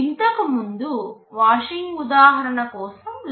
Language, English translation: Telugu, Earlier we showed the calculation for the washing example